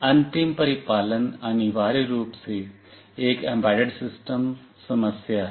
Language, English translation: Hindi, The final implementation is essentially an embedded system problem